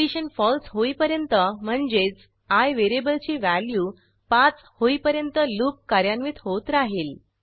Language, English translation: Marathi, The loop will get executed till the condition becomes false that is when variable i becomes 5